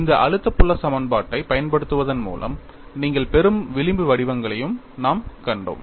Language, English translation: Tamil, And we have also seen the kind of fringe patterns that you get by using this stress field equation; we will have a look at them again